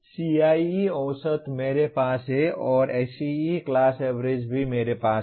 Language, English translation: Hindi, CIE average I have and SEE class averages also that I have